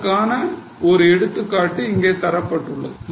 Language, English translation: Tamil, So, here is an example given